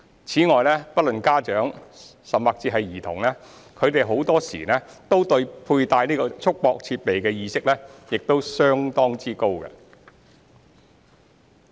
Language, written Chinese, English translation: Cantonese, 此外，不論家長、甚至是兒童，他們很多都對佩戴束縛設備的意識亦相當高。, We also note that parents or even children have high awareness of the need to use restraint devices